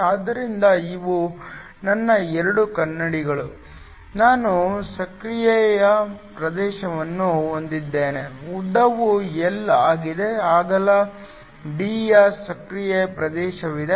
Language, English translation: Kannada, So, these are my 2 mirrors, I have an active region the length is L there is an active region of width d